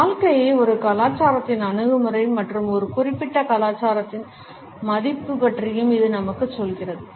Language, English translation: Tamil, It also tells us about a culture’s approach to life and what is valuable in a particular culture